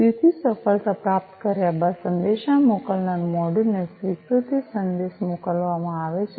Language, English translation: Gujarati, So, after successful reception and acknowledgement message is sent to the sender module